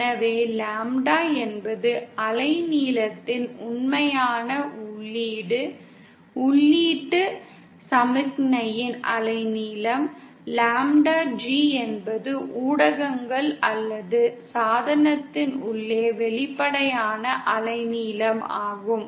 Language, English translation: Tamil, So while lambda is the actual input of wavelength, wavelength of the input signal, lambda G is the apparent wavelength inside the media or the device